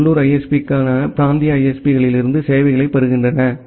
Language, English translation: Tamil, Then this local ISPs they get the services from the regional ISPs